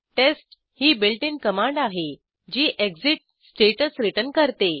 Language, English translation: Marathi, * test is a built in command, which returns the exit status